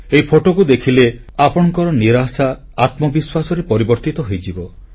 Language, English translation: Odia, Just on seeing these pictures, your disappointment will transform into hope